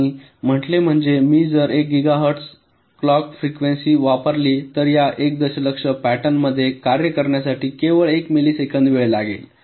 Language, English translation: Marathi, right, and say: means, if i use a clock frequency of one gigahertz, then this one million pattern will take only one millisecond of time to have to operate right